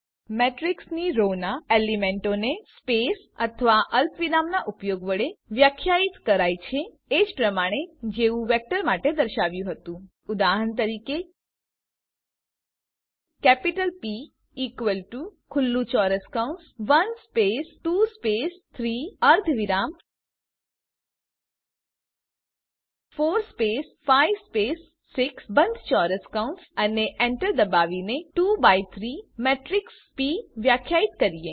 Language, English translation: Gujarati, Elements of a row of a matrix, can be defined using spaces or commas similar to that shown for a vector For example,let us define a 2 by 3 matrix P by typing captital P is equal to open square bracket 1 space 2 space 3 semicolon 4 space five space 6 close the square bracket and press enter